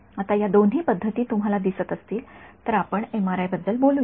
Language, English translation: Marathi, Now, both of these methods if you can see so, let us talk about MRI